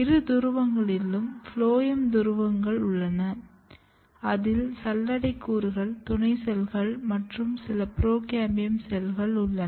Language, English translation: Tamil, And then at two poles you have phloem poles, where you have sieve elements as well as companion cells and then you have some procambium cells